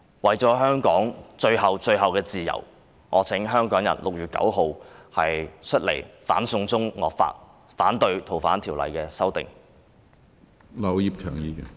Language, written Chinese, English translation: Cantonese, 為了香港最後的自由，我請香港人在6月9日出來反"送中"惡法，反對《逃犯條例》的修訂。, For the ultimate freedom of Hong Kong I implore Hongkongers to come forward on 9 June to oppose the draconian China extradition bill and the amendments to FOO